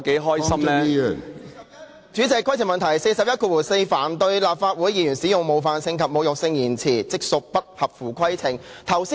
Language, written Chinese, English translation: Cantonese, 根據《議事規則》第414條，凡對立法會議員使用冒犯性及侮辱性言詞，即屬不合乎規程。, According to RoP 414 it shall be out of order to use offensive and insulting language about Members of the Council